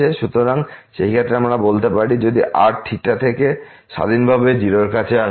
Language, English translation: Bengali, So, in that case we can say if approaching to 0 independently of theta